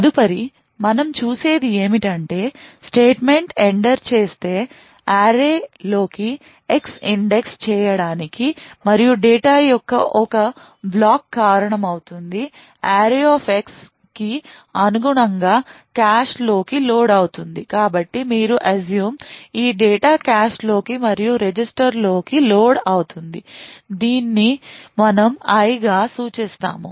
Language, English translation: Telugu, The next we see is that the if statement is entered an X is used to index into the array and cause one block of data Corresponding to array[x] to be loaded into cache so this data you can assume is loaded into cache and into a register which we denote as I